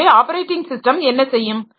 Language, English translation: Tamil, So, what the operating systems can do